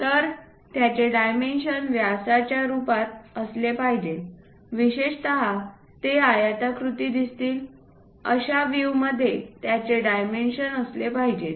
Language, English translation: Marathi, So, they should be dimension by their diameters, especially should be dimensioned in the views that they appear as rectangles